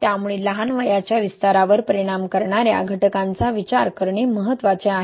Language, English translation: Marathi, So it is important to look into factors which influence early age expansion, right